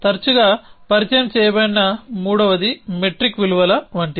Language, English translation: Telugu, The third that is often introduced is found is like metric values